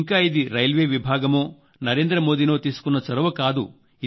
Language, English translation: Telugu, This was neither the initiative of the Railways nor Narendra Modi